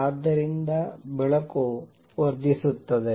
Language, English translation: Kannada, And so therefore, light gets amplified